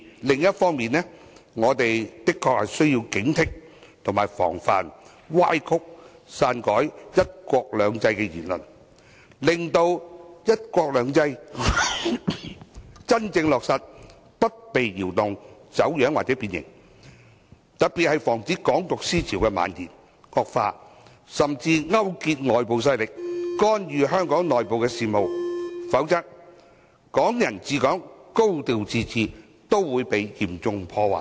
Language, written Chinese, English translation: Cantonese, 另一方面，我們的確需要警惕及防範歪曲和篡改"一國兩制"的言論，令"一國兩制"的真正落實不被動搖、走樣或變形，尤其是要防止"港獨"思潮的蔓延、惡化甚至勾結外部勢力，干預香港內部事務，否則，"港人治港"和"高度自治"均會被嚴重破壞。, On the other hand we do need to guard against comments that will distort one country two systems so that the implementation of one country two systems will not be shaken distorted or deformed . In particular we have to prevent the spread and worsening of the Hong Kong independence thinking . We also have to guard against people colluding with external forces to intervene in the internal affairs of Hong Kong; otherwise Hong Kong people administering Hong Kong and a high degree of autonomy will be seriously damaged